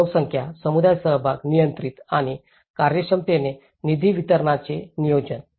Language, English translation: Marathi, So, the population, the community participation controlling and efficiently planning the distribution of funds